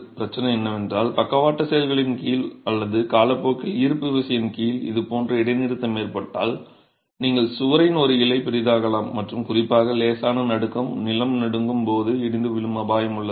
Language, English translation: Tamil, The problem is when you have this sort of a discontinuity under lateral actions or even under gravity over time you can have bulging of one leaf of the wall and vulnerability to collapse particularly when there is even slight shaking ground shaking